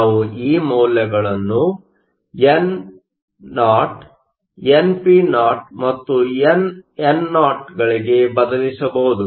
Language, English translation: Kannada, We can substitute these values for no, npo and nno